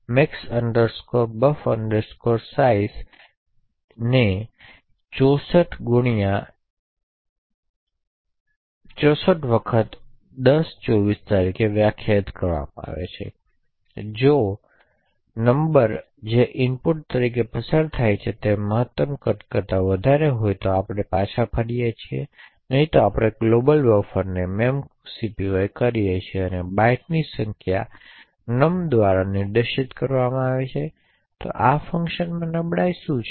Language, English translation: Gujarati, Max buf size is defined as 64 times 1024 if num which is passed as input is greater than max size then we return else we do a memcpy of source to the global buffer and the number of bytes we are actually coping is specified by num, so I would like you to find out what the vulnerability of this function is